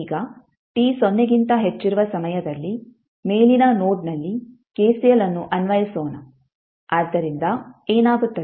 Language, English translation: Kannada, Now, at time t is equal to greater then 0 lets apply KCL at the top node, so what will happen